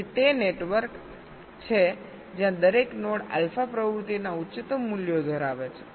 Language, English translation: Gujarati, so that is the network where every node has the highest values of alpha activity, right